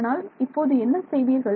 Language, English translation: Tamil, So, what would you do